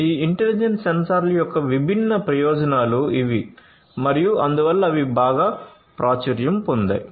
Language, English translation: Telugu, These are the different advantages of these intelligent sensors and that is why these are very attractive